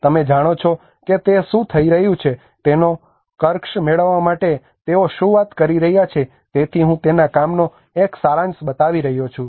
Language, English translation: Gujarati, You know what are they talking about to get the jargon of what is happening so I am just showing a gist of her work